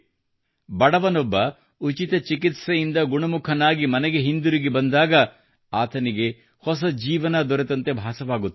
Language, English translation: Kannada, When the poor come home healthy with free treatment, they feel that they have got a new life